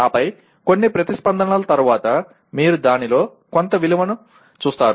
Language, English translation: Telugu, And then after a few responses, you see some value in that